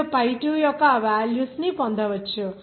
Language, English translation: Telugu, You can get this value of pi2